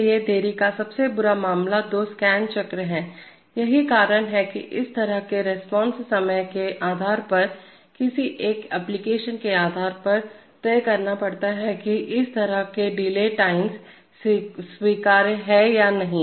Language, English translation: Hindi, So therefore, the worst case of delay is two scan cycles, so that is why depending on the kind of response time one has to decide based on an application whether such delay times are acceptable or not